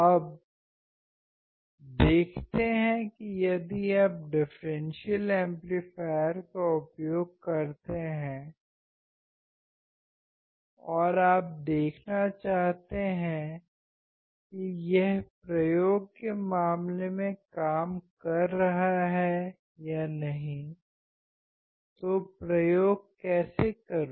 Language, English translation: Hindi, Now, let us see that if you want to use the differential amplifier and you want to see whether it is working or not in case in terms of experiment, how to perform the experiment